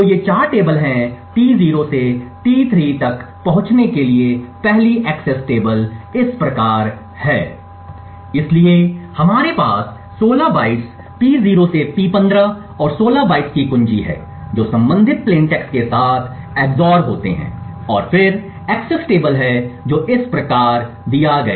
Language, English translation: Hindi, So, these 4 tables are T0 to T3 the first accesses to the tables is as follows, so we have like 16 bytes P0 to P15 and 16 bytes of key which are XOR with their respective plain text bytes and then there are table accesses which are done as follows